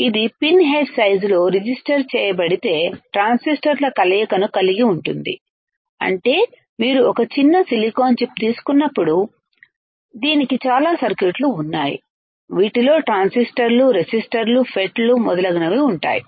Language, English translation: Telugu, It has combination of transistors if it is registered in a pin head size, so that means, that when you take a small [sink/silicon] silicon chip, it has lot of circuits that can include transistors, resistors, FETs right and so on and so forth